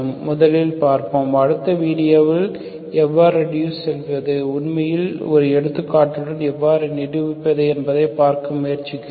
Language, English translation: Tamil, So first we will see, so in the next video we will try to see how to reduce, how to actually demonstrate with an example